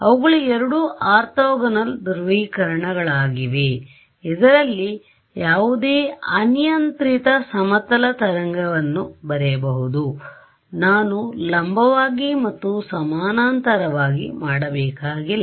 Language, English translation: Kannada, Those are also two orthogonal polarizations into which any arbitrary plane wave could be written I need not do perpendicular and parallel not exactly right